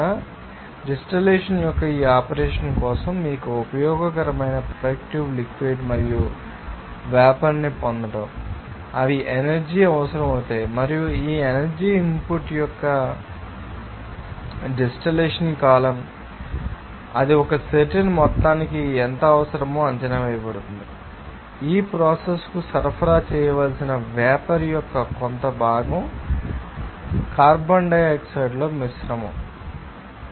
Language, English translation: Telugu, So, for this operation of distillation to you know get this useful productive liquid and vapor they are energy will be required and this energy input to that you know distillation column based on who is it will be assessed how much it is required for a certain amount of steam that is to be supplied to the process a certain amount of you know hydrocarbon mixture